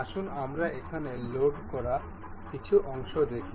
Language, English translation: Bengali, Let us see some of the parts I have loaded here